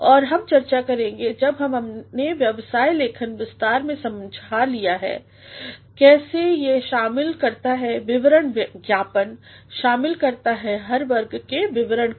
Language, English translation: Hindi, And we shall discuss when we come to explain business writing in detail, how it actually talks about reports, memos, talks about reports of all categories